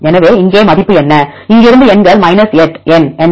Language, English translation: Tamil, So, what is value here what are the possibilities the numbers from here what is the number 8; this way